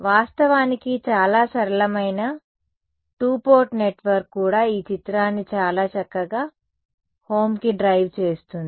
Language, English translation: Telugu, So, actually a very simple two port network also drives home this picture very well right